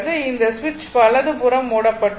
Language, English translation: Tamil, That means this switch is closed now